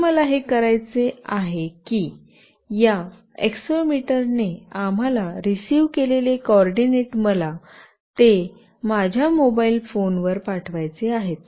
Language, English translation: Marathi, Now, what I want to do is that the coordinates that we received from this accelerometer, I want to send them to my mobile phone